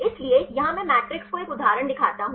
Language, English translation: Hindi, So, here I show the matrix one of the examples